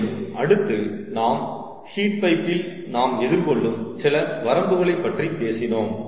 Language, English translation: Tamil, ok, and then we also talked about some limits that a heat pipe may face